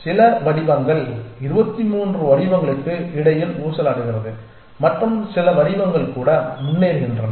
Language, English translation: Tamil, And some patterns survives some patters oscillate between 2 3 patterns and some patterns even move forward